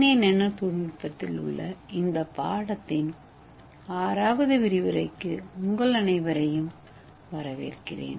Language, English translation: Tamil, Hello everyone I welcome you all to the 6th lecture of this course that is on DNA nanotechnology